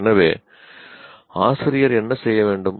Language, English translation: Tamil, So, what should the teacher do